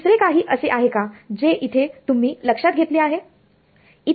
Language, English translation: Marathi, Anything else that you can notice from here